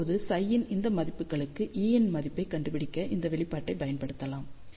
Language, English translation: Tamil, Now, for these values of psi we can use this expression to find the values of E